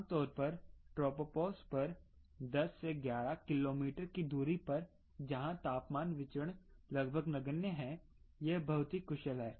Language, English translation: Hindi, i had tropopause ten to eleven kilometers, where temperature variance is almost negligible there